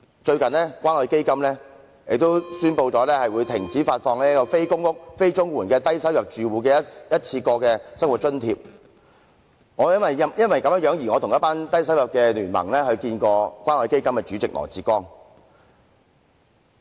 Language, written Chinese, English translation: Cantonese, 最近，關愛基金宣布停止發放"非公屋、非綜援的低收入住戶一次過生活津貼"，我因而曾聯同某低收入聯盟成員與關愛基金的主席羅致光見面。, Recently the Community Care Fund announced the cessation of providing a one - off living subsidy for low - income households not living in public housing and not receiving Comprehensive Social Security Assistance . I have thus joined members of an alliance for low income earners to meet with LAW Chi - kwong Chairperson of the Community Care Fund Task Force